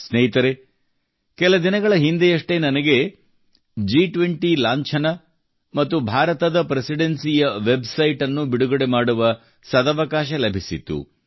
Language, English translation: Kannada, Friends, a few days ago I had the privilege of launching the G20 logo and the website of the Presidency of India